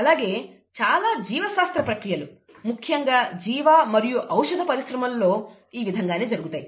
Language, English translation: Telugu, And, very many biological processes happen this way, specially in biological and pharmaceutical industries, okay